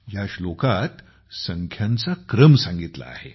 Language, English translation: Marathi, The order of numbers is given in this verse